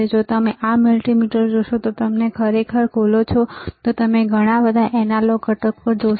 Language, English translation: Gujarati, If you see this multimeter if you really open it there is lot of analog components